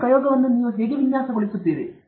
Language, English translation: Kannada, How do you design your experiment